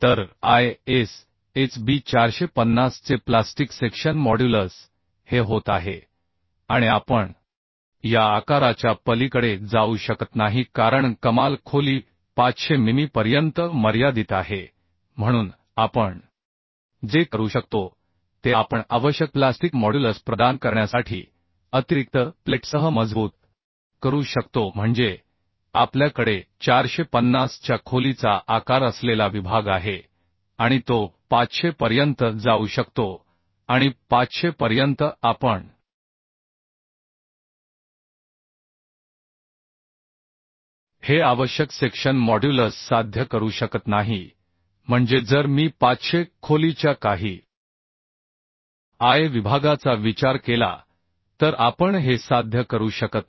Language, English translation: Marathi, 95 section modulus means plastic section modulus okay So plastic section modulus of ISHB 450 is becoming this and we cannot go beyond this size because the maximum depth is restricted to 500 mm therefore what we can do we can strengthen with additional plates to provide the required plastic modulus That means we have a section with a size of means depth of 450 and it could go upto 500 and upto 500 we cannot achieve this required section modulus means if I consider some I section of 500 depth we are unable to achieve this therefore what we are doing we are taking a section lesser than 500 and we are adding some plate right so that the total depth does not exceed 500 means less than 500 this is d so sorry capital The So what we have done the I sections we have considered 450 and we are considering certain plate so that the total depth of the section overall depth of the section does not go beyond 500 right So additional plastic section modulus we have to means we need to know So for this what we could see that for ISHB 450 the section modulus is 2030